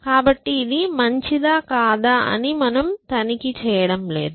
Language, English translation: Telugu, So, we are not checking whether it is better or not